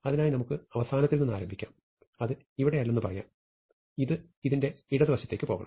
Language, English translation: Malayalam, So we can start at end and say it is not here, it must go to the left of this